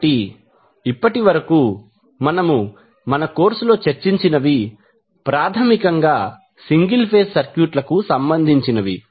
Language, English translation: Telugu, So, till now what we have discussed in our course was basically related to single phase circuits